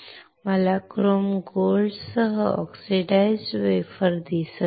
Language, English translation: Marathi, I see oxidized wafer with chrome gold